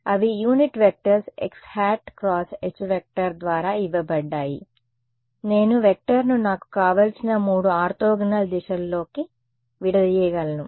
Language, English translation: Telugu, They are given by the unit vectors x hat cross H y hat cross right I can decompose a vector into any 3 orthogonal directions that I want